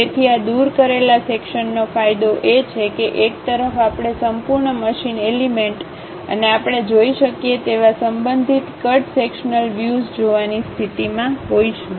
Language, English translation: Gujarati, So, the advantage of this removed section is, at one side we will be in a position to see the complete machine element and also respective cut sectional views we can see